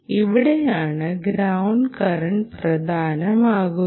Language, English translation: Malayalam, the ground current becomes important